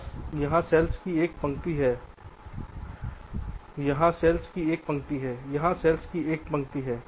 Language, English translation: Hindi, so what i mean to say is that you have one row up cells here, you have one row up cells here